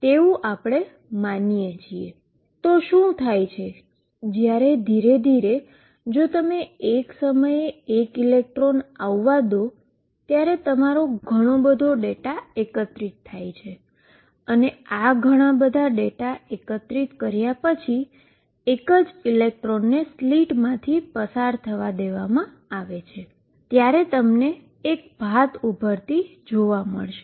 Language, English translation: Gujarati, So, what happens when slowly, if you let one electron come at a time and collect a lot of data you even when only one electron is allow to pass through the slits at one time after we collect a lot of data, you see a pattern emerging like this